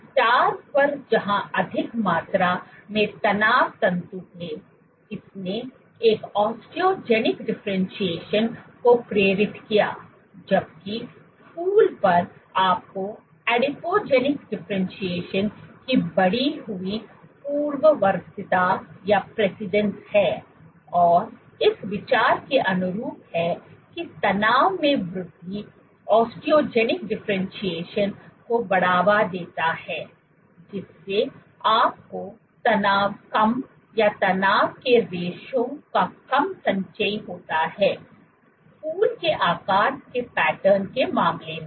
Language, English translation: Hindi, On the star where there was more amount of stress fibers this induced an Osteogenic differentiation, while on the flower you had an increased precedence of Adipogenic differentiation and consistent with this and consistent with the idea that increase in tension stimulates Osteogenic differentiation you had lesser tension or lesser accumulation of stress fibers, in case of flower shape patterns and greater stress fibers and bigger focal adhesions in case of the star shaped pattern